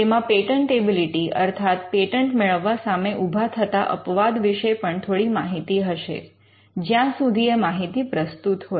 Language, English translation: Gujarati, It would also have some information about exceptions to patentability to the extent they are relevant